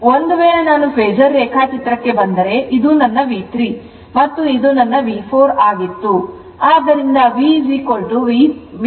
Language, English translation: Kannada, If, I come to the Phasor diagram this was my V 3 and this was my V 4